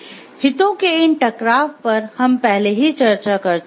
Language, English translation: Hindi, So, these conflicts of interest we have already discussed earlier